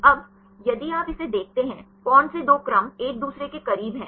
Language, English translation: Hindi, Now, if you see this one; which two sequences are close to each other